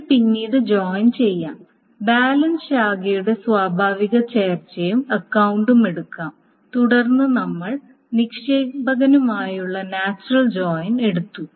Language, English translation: Malayalam, This can be then joined, the natural join of branch and account can be taken and that can then be taken the natural joint with depositor